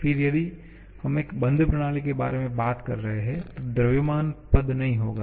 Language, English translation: Hindi, Again, if we are talking about a closed system, then the mass related term will not be there